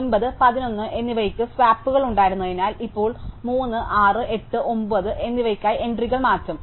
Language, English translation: Malayalam, Because 9 and 11 had the swaps, now I will swap the entries for 3, 6 and 8, 9